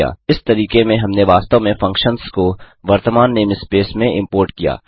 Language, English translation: Hindi, In this method we actually imported the functions to the current name space